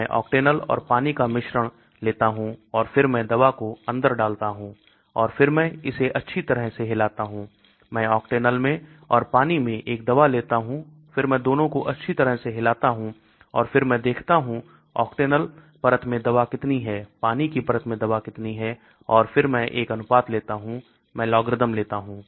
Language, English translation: Hindi, I take a mixture of Octanol and water and then I put the drug inside and then I shake it nicely I take a drug in Octanol in water then I shake it nicely and then I see how much of the drug is in the Octanol layer , how much of the drug in the water layer and then I take a ratio, I take the logarithm